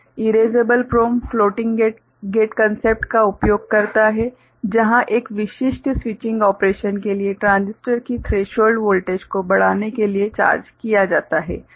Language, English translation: Hindi, Erasable PROM uses floating gate concept where charge is stored to increase the threshold voltage of the transistor for a specific switching operation